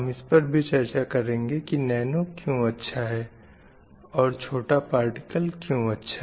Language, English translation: Hindi, And we have also learned why small is good, why nanoparticle is good or better than the bulk material